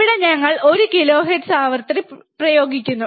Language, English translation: Malayalam, Here we are applying one kilohertz frequency